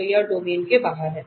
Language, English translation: Hindi, So, this is outside the domain